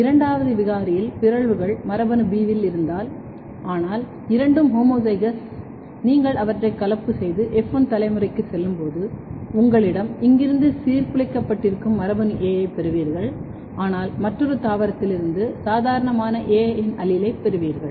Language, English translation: Tamil, And in second mutant if mutations in gene B, but both are homozygous when you cross them and go to the F1 generation you are going to have gene A disrupted from here, but you will have allele of A as a normal from another plant